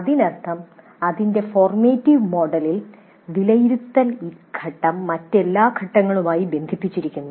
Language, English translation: Malayalam, That means in its formative mode, the evaluate phase is connected to every other phase